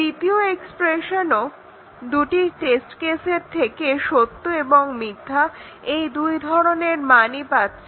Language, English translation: Bengali, In the second test case, the second expression with the two test cases is also taking the values true and false